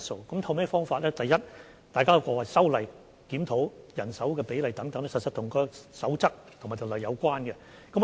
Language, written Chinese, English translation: Cantonese, 所透過的方法，是首先修例和檢討人手比例，這是與守則和條例有關的。, First of all we will amend the legislation and review the manpower proportion which will be related to the codes of practice and the ordinances